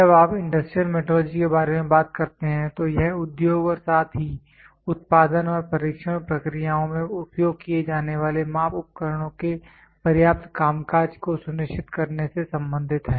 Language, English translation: Hindi, When you talk about industrial metrology, it deals with ensuring of the adequate functioning of measuring instruments used in industry as well as in the production and testing processes